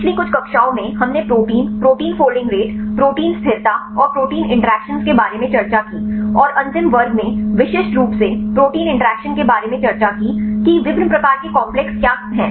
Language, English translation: Hindi, In last few classes we discussed about the proteins, protein folding rates, protein stability and protein interactions, and specific in the last class discussed about the protein interactions right what a different types of complexes